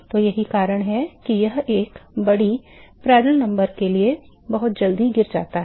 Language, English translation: Hindi, So, that is the reason why it falls very quickly for a large Prandtl number